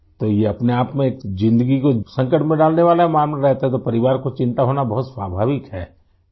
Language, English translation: Urdu, So it is a lifethreatening affair in itself, and therefore it is very natural for the family to be worried